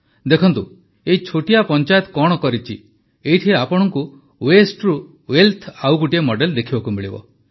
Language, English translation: Odia, See what this small panchayat has done, here you will get to see another model of wealth from the Waste